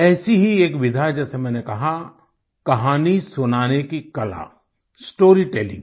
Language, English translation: Hindi, And, as I said, one such form is the art of storytelling